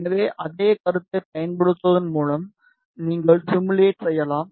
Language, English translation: Tamil, So, by using the same concept you can do the simulation